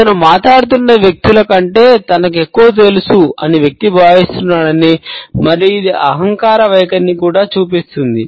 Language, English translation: Telugu, It shows that the person thinks that he knows more than people he is talking to and it also shows arrogant attitude